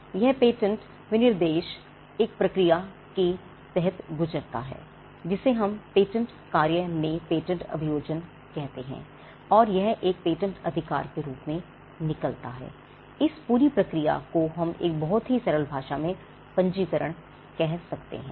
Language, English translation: Hindi, And this patent specification under grows a process what we call patent prosecution within the patent office and it emanates as a patent right this entire process in a very simple language we can call it registration